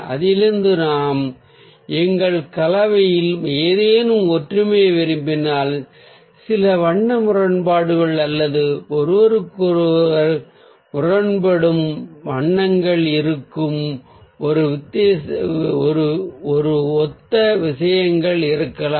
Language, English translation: Tamil, so from that, if we at all want some disharmony in our combination, maybe some colour discord or ah the similar things, where there are colours which are conflicting to each other, ah, we can choose from the other side of it